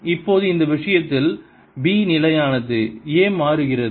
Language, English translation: Tamil, or i can have b constant in time but this area changes